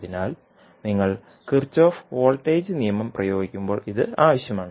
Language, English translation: Malayalam, So, this will be required when you having the Kirchhoff voltage law to be applied